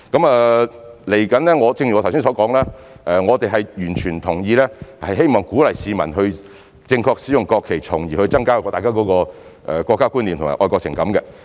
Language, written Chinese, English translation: Cantonese, 未來正如我剛才所說，我們完全同意，並希望能鼓勵市民正確地使用國旗，從而增加大家的國家觀念和愛國情感。, In the future as I have just said we fully agree and hope to encourage the public to use the national flag in a proper manner with a view to enhancing our sense of national identity and patriotic feelings